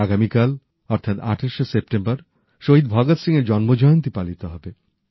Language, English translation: Bengali, Tomorrow, the 28th of September, we will celebrate the birth anniversary of Shahid Veer Bhagat Singh